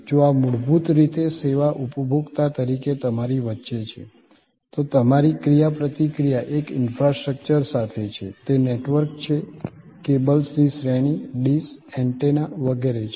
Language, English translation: Gujarati, If this is basically between you as a service consumer at the, your interaction is with an infrastructure, it is a network, series of cables, dishes, antennas and so on